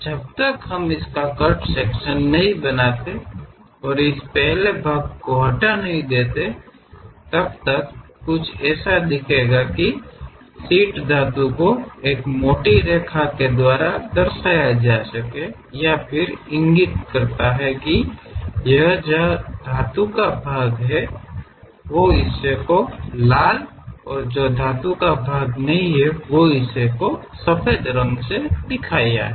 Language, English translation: Hindi, Unless we make a cut section remove this first part and show something like, where sheet metal can be represented by a thick line; that indicates that material might be present within that red portion and the white portion, there is no material